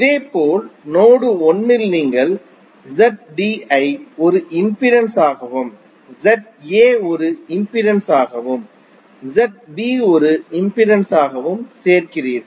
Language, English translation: Tamil, Similarly in node 1 you are joining Z D as a impedance and Z A as an impedance and Z B as an impedance